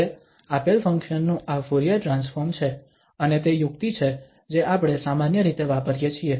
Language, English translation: Gujarati, Now having this Fourier transform of this given function and that is the trick we usually use